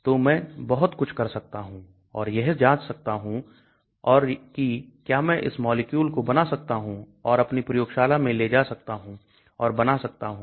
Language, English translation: Hindi, So I can do many things and check it out and see whether I can synthesize this molecule and take it to my lab and start synthesizing